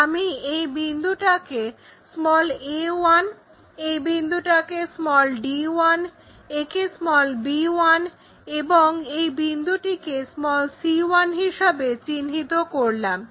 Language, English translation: Bengali, If I am locating this point as a 1, this point as d 1, this point as b 1, and this point as c 1, let us join these lines